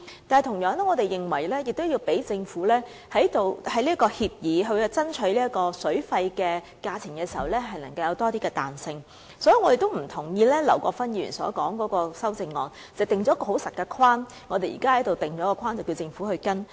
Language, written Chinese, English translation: Cantonese, 我們同樣認為，要為政府就協議爭取較理想水費時留有更多彈性，所以也不同意劉國勳議員的修正案，因為當中訂定了一個很刻板的框架，要求政府跟隨。, We also think that greater flexibility should be allowed for the Government in striving for more reasonable water cost in respect of the agreement . So we disagree with the amendment of Mr LAU Kwok - fan either as it will create a very rigid framework which requires the Government to follow